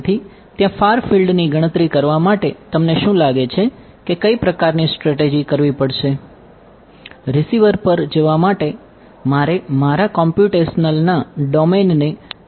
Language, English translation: Gujarati, So computing the far field is there what kind of strategy do you think will have to do